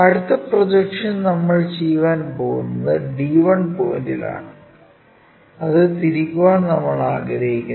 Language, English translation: Malayalam, And the next projection what we are going to make is around the d 1 point, we want to rotate it